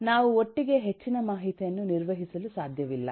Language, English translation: Kannada, we cannot handle a lot of information together